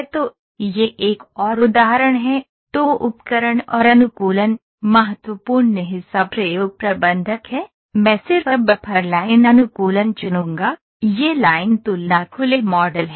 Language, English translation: Hindi, So, this is another example ok, then tools and optimization, ok the important is experiment manager, I will just pick the buffer line optimization ok, this is line comparison open model